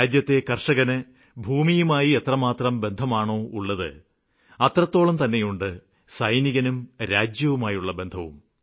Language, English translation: Malayalam, The intensity with which the farmers are connected with their land, our soldiers too are connected with the land in the same degree